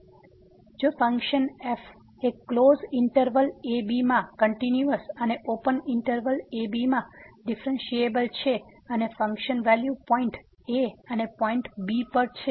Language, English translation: Gujarati, So, if a function is continuous in a closed interval and differentiable in open interval and the function value at the point and the point